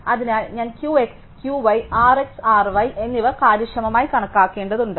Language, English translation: Malayalam, So, I need to efficiently compute Q x and Q y, R x and R y